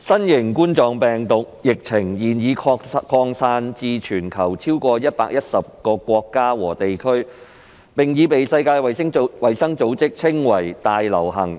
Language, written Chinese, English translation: Cantonese, 新型冠狀病毒疫情現已擴散至全球超過110個國家和地區，並已被世界衞生組織稱為"大流行"。, The novel coronavirus epidemic has now spread to more than 110 countries and territories around the world and has been described as a pandemic by the World Health Organization